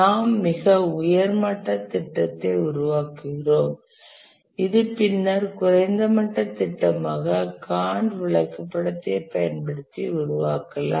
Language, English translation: Tamil, we just develop a very high level plan which is later the low level plan is developed by using a Gant chart